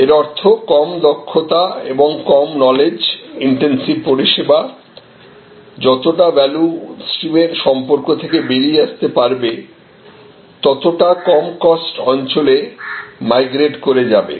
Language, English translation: Bengali, That means, the lower expertise, lower knowledge intense services to the extent they could be taken out of the closer connection with the value stream migrated to lower cost areas